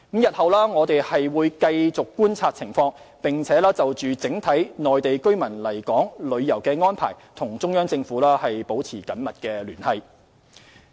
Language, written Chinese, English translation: Cantonese, 日後，我們會繼續觀察情況，並就整體內地居民來港旅遊的安排與中央政府保持緊密聯繫。, In future we will continue to keep the conditions in view and maintain close contact with the Central Government on the overall arrangements for Mainland residents to visit Hong Kong